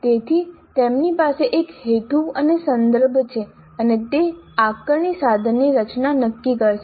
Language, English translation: Gujarati, So, they have a purpose and a context and that will determine the structure of the assessment instrument